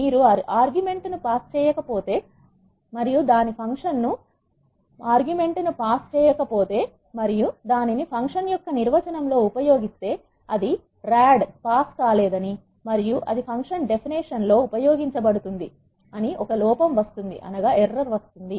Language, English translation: Telugu, But R is clever enough, if you do not pass the argument and then use it in the definition of the function it will throw an error saying that this rad is not passed and it is being used in the function definition